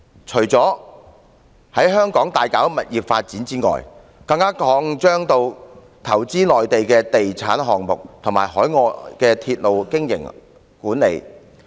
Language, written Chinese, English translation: Cantonese, 除了在香港大搞物業發展外，更擴張至投資內地的地產項目和海外的鐵路經營管理。, Apart from undertaking property development in Hong Kong it has even engaged in investing in real estate projects in the Mainland as well as railway operation and management overseas